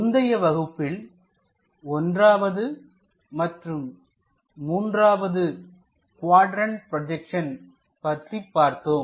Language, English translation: Tamil, In the last class, we have learned about 1st quadrant projections and 3rd quadrant projections